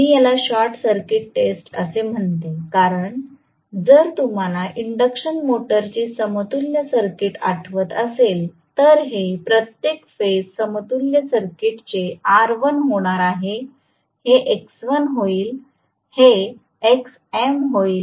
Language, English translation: Marathi, I call this as short circuit test because if you recall the equivalent circuit of the induction motor this is going to be r1 this is going to be x1